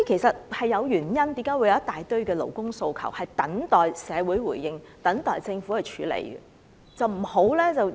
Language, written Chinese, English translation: Cantonese, 所以，為何有一大堆勞工訴求等待社會回應和政府處理其實是有原因的。, So this explains why there is a whole raft of demands from the labour sector awaiting reaction from our community and the Government